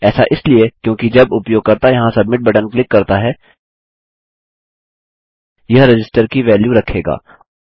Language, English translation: Hindi, This is because when the user clicks the submit button here, this will hold a value of Register